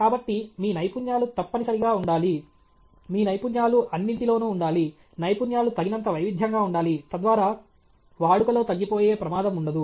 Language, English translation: Telugu, So, your skill set must be in… your skill set must be all pervading, skill set must be diverse enough okay, so that the risk of obsolescence is not there okay